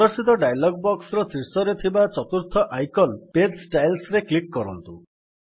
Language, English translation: Odia, Now in the dialog box which appears, click on the 4th icon at the top, which is Page Styles